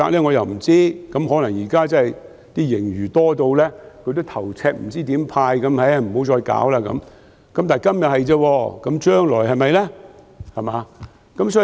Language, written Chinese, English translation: Cantonese, 我又不知道，可能現在的盈餘多得他很頭痛，不知如何派發，所以不再理會這問題。, I do not have a clue . Perhaps he is having a serious headache of how to distribute the bountiful surplus and so he is not paying attention to this question anymore